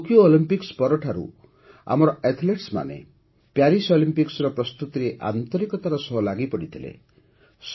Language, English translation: Odia, Right after the Tokyo Olympics, our athletes were whole heartedly engaged in the preparations for the Paris Olympics